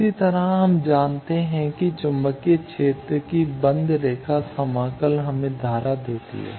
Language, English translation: Hindi, Similarly, we know that the closed line integral of magnetic field gives us current